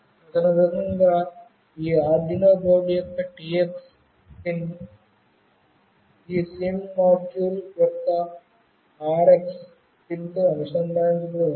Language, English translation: Telugu, So, accordingly the TX pin of this Arduino board must be connected to the RX pin of this SIM module